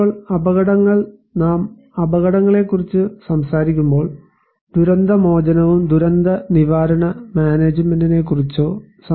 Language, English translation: Malayalam, Now, hazards; when we are talking about hazards, we have to consider few characteristics of the hazards or features when we are talking about disaster recovery or disaster risk management